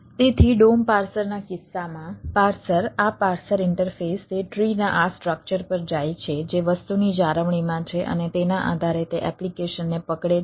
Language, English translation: Gujarati, so in case of a dom parser, the parser, this parser interface, it goes to this structure of the tree which is in maintaining the thing and based on that application, the jdom or the java dom